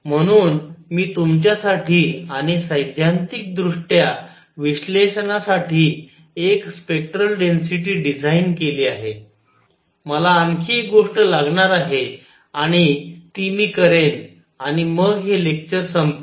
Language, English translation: Marathi, So, I have designed a spectral density for you and theoretically analysis, I will need one more thing and that is I will do that and then this lecture gets over